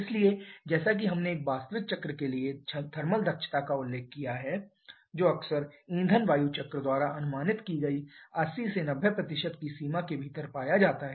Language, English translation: Hindi, Therefore as we have mentioned the efficiency thermal efficiency for an actual cycle quite often is found to be within the range of 80 to 90% of whatever is predicted by the fuel air cycle